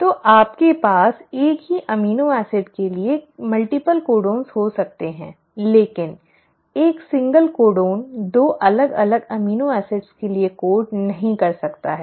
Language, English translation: Hindi, So you can have multiple codons for the same amino acid but a single codon cannot code for 2 different amino acids